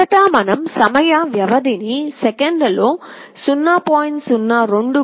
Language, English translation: Telugu, First we set the time period in seconds as 0